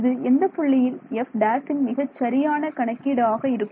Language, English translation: Tamil, This is an accurate estimate of f prime at which point